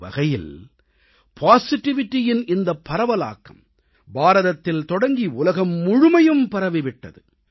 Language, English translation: Tamil, In a way, a wave of positivity which emanated from India spread all over the world